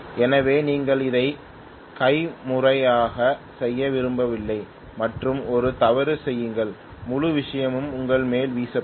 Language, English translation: Tamil, So you do not want to do it manually and commit a blunder and have the whole thing blown over on the top of you